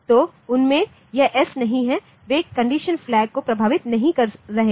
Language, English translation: Hindi, So, they are not having this S in them, they are not affecting the condition flag